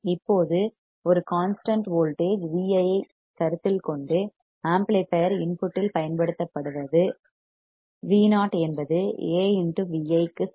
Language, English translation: Tamil, Now, considering a fixed voltage V i applied to that the applied at the input of the amplifier what we get is V o equals to A times V i